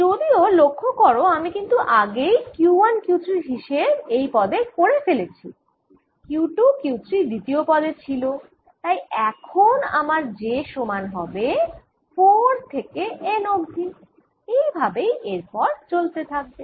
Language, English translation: Bengali, however, notice that i have already accounted for q one, q three in this term and q two, q three in the second term and therefore i have j equals four through n over r three, j and so on